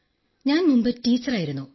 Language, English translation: Malayalam, Earlier, I was a teacher